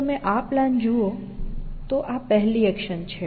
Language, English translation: Gujarati, So, if you look at this plan, this is a first action